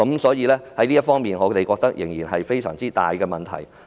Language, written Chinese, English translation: Cantonese, 所以，我們覺得這方面的問題仍然非常大。, Thus I think there is still a very big problem in this area